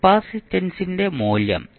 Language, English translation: Malayalam, The value of capacitor is 0